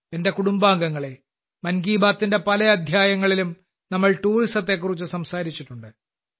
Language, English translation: Malayalam, My family members, we have talked about tourism in many episodes of 'Mann Ki Baat'